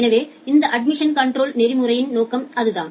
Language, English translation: Tamil, So, that is the purpose of this admission control protocol